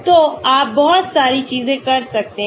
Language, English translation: Hindi, So you can do lot of things